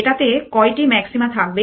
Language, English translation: Bengali, How many maxima will this have